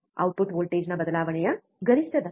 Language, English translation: Kannada, Maximum rate of change of output voltage